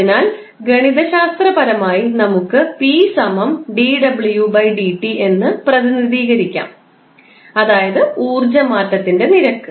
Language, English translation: Malayalam, So, in mathematical terms we can represent it like p is equal to dw by dt that is rate of change of energy